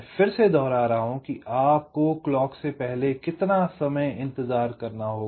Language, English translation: Hindi, again i am repeating before clock, how much time you have to wait